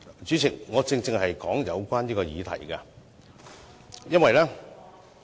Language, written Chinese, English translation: Cantonese, 主席，我正是就有關議題發言，因為......, Chairman I am exactly speaking on the subject for Please keep silent